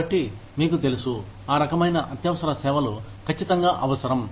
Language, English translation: Telugu, So, you know, those kinds of emergency services are absolutely required